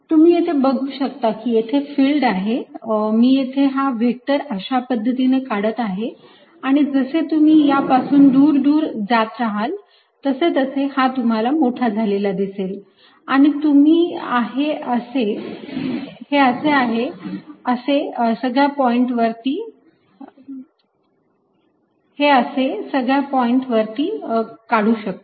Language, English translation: Marathi, so you can see that the field is i make this vector is like this, and as you go farther and farther out, it's going to be bigger and bigger, alright